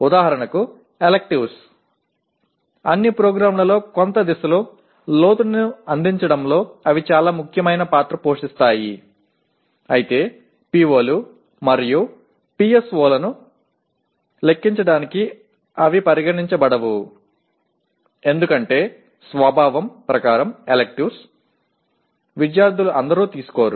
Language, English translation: Telugu, For example electives, they play very important role in providing depth in some direction in all programs but they are not considered for computing the POs and PSOs as by the very nature electives are not taken by all students